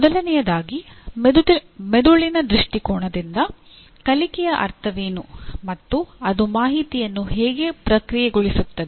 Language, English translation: Kannada, First of all, what does learning mean from a brain perspective and how does it process the information